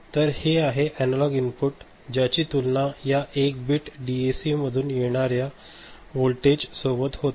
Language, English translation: Marathi, And this analog input is compared with a voltage which is coming from 1 bit DAC ok